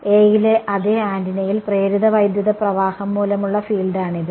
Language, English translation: Malayalam, This is the field due to the induced current on the same antenna on A